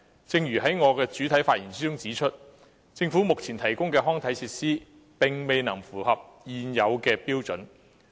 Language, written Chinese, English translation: Cantonese, 正如我在主體發言中指出，政府目前提供的康體設施並未符合現有標準。, As I said in my keynote speech the Governments current provision of recreational facilities has failed to meet the existing standards